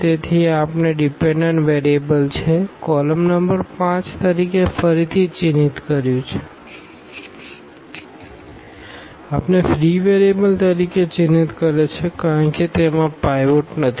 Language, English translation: Gujarati, So, this we have marked as a dependent variable, column number 5 again we have marked as a free variable because it does not have a pivot